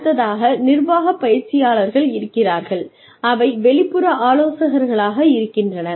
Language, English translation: Tamil, We have executive coaches, which are outside consultants